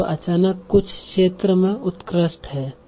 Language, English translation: Hindi, So he is suddenly excelling in certain field